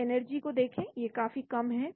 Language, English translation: Hindi, So look at the energies there are quite low